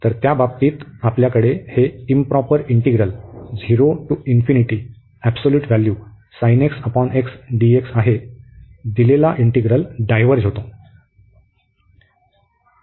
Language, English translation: Marathi, So, in that case we have that this improper integral, the given integral this diverges